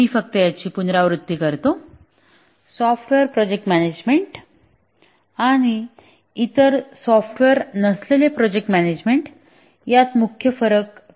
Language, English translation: Marathi, Let me just repeat that what is the main difference between software project management and management of other projects, non software projects